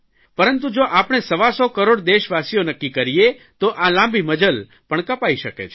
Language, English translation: Gujarati, If we, 125 crore Indians, resolve, we can cover that distance